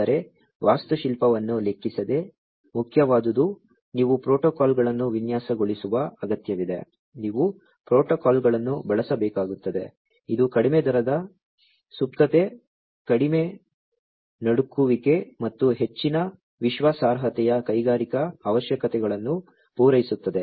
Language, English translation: Kannada, But, what is important is irrespective of the architecture, you need to design protocols, you need to use the protocols, which will cater to the industrial requirements of low rate latency, low jitter, and high reliability